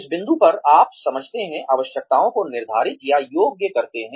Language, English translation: Hindi, At this point you explain, quantify or qualify requirements